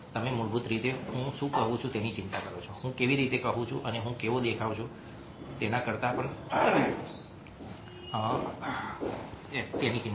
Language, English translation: Gujarati, you are basically concerned about what i am saying rather than how i am saying it and what i look like look like